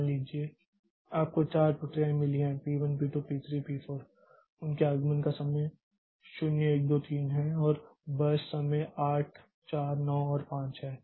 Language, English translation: Hindi, Suppose we have got four processes P1, P2, P4, P4, their arrival times are 0123 and the burst times are 8, 9 and 5